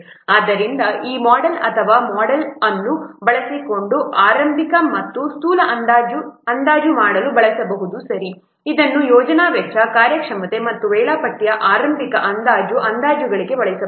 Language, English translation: Kannada, So using this model or this model can be used for estimation of early and rough estimates, this can be used for early rough estimates of project cost, the performance and the schedule